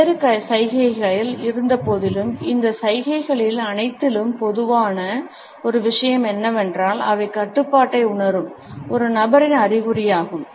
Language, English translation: Tamil, Despite the different associations one thing which is common in all these gestures is that they are an indication of a person who feels in control